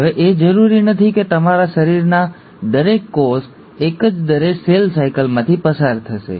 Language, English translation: Gujarati, Now, it's not necessary that each and every cell of your body will undergo cell cycle at the same rate